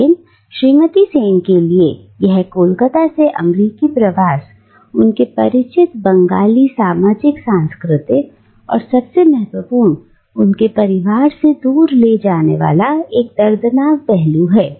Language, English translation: Hindi, But the migration from Calcutta to America has meant for Mrs Sen a painful uprooting from her familiar Bengali social cultural milieu and most importantly from her family